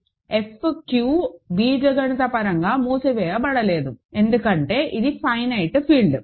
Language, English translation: Telugu, F q is not algebraically closed, because it is a finite field